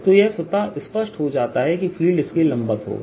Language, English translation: Hindi, so it is automatic that field will be perpendicular